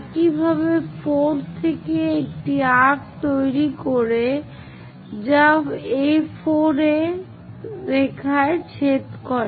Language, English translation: Bengali, Similarly, from 4 draw an arc which goes intersect A4 line